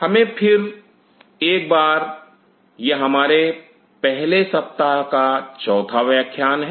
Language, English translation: Hindi, Let us once again, this is our week 1, lecture 4